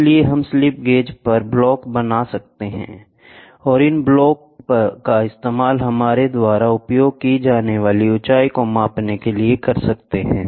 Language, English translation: Hindi, So, we could make blocks on slip gauge, and these blocks for measuring height we used